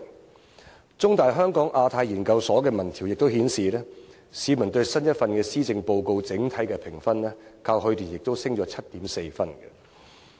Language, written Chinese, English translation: Cantonese, 香港中文大學香港亞太研究所的民調亦顯示，市民對新一份施政報告的整體評分，較去年上升 7.4 分。, The poll conducted by the Hong Kong Institute of Asia - Pacific Studies of The Chinese University of Hong Kong also showed an increase of 7.4 points in overall score of the latest Policy Address as compared to last year